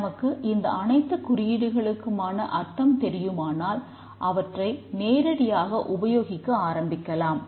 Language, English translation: Tamil, And once we know these symbols what they mean, we can straight away start using them